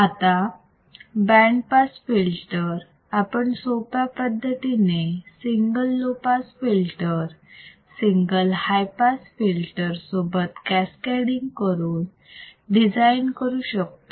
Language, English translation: Marathi, Now, a simple band pass filter can be easily made by cascading single low pass filter with a single high pass filter